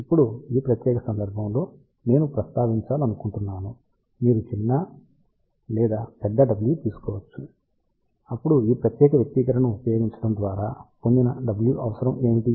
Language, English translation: Telugu, Now, in this particular case I just want to mention, you can take smaller or larger W, then the W obtained by using this particular expression depending upon what is the requirement